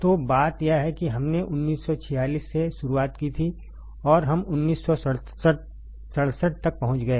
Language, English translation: Hindi, So, we started from 1946, we reached to 1961